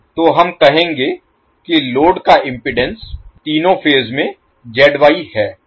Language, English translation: Hindi, So we will say the impedance of the load is Z Y in all three phases